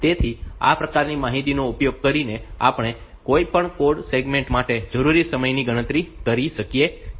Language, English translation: Gujarati, So, using this type of information we can calculate the time needed for any code segment